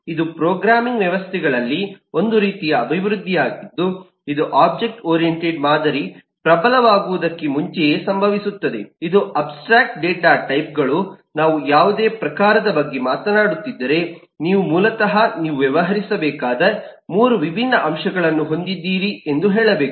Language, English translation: Kannada, this is a kind of eh development into programming systems which happen, eh, quite before the object oriented paradigm became dominant, which abstract data types have to say that, if we are talking about any type, basically have 3 different components that you need to deal with eh